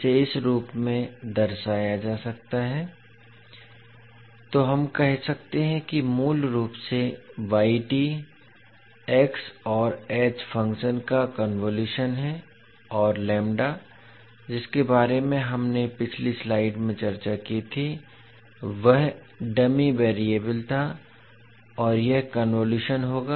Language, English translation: Hindi, So we can say that basically the yt is convolution of x and h functions and the lambda which we discussed in the previous slide was dummy variable and this would be the convolution